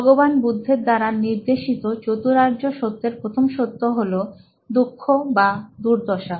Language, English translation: Bengali, The first noble truth as specified by Lord Buddha was “Dukkha” or suffering